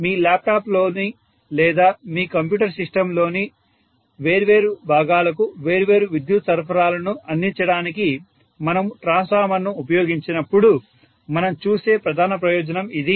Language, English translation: Telugu, That is a major advantage that we see when we use the transformer for providing different power supplies to different components in your laptop or in your computer system